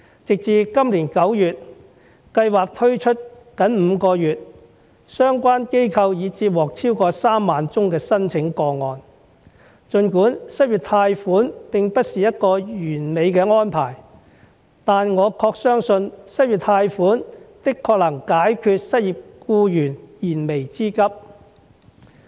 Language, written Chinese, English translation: Cantonese, 直至今年9月，計劃推出僅5個月，相關機構已接獲超過3萬宗的申請個案，儘管失業貸款並不是一個完美的安排，但我確信失業貸款的確能解決失業僱員燃眉之急。, As of September this year which is only five months after the launch of the Scheme the organization concerned has received more than 30 000 applications . An unemployment loan may not be a perfect arrangement but I believe it can provide urgent help to the unemployed